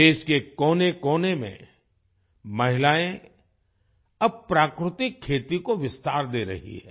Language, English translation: Hindi, Women are now extending natural farming in every corner of the country